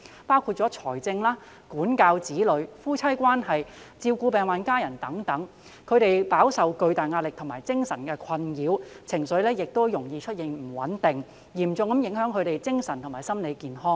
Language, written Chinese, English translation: Cantonese, 他們在財政、管教子女、夫妻關係、照顧病患家人等方面飽受巨大的壓力和精神困擾，情緒容易不穩，嚴重影響他們的精神和心理健康。, With tremendous pressures and mental perplexities in dealing with financial issues disciplining children handling the relationship with spouses taking care of ill family members etc they are vulnerable to be emotionally volatile . This seriously affects their mental and psychological health